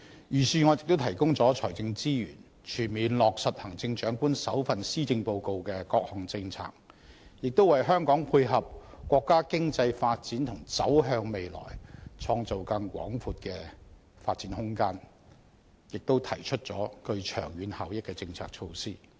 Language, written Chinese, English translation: Cantonese, 預算案亦提供了財政資源，全面落實行政長官首份施政報告的各項政策，也為香港配合國家經濟發展和走向未來創造更廣闊的發展空間，提出了具長遠效益的政策措施。, The Budget has also provided financial resources for full implementation of the various policies in the first Policy Address of the Chief Executive and put forward policy initiatives with long - term benefits for Hong Kong to dovetail with the economic development of the country and provide more room for development in the way forward